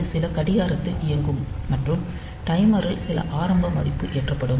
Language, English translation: Tamil, So, it will be operating on some clock and there will be some initial value loaded into the timer